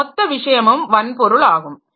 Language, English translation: Tamil, So, this hard, so this entire thing is the hardware